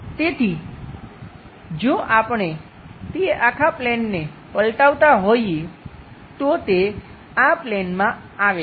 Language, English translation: Gujarati, So, if we are flipping that entire plane, it comes to this plane